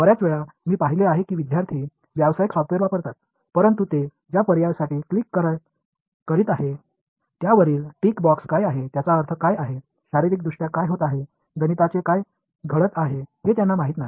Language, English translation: Marathi, Many times you will I have seen that students they use commercial software, but they do not know what are the tick box over options that they are clicking for, what does it mean, what is physically happening, what is mathematically happening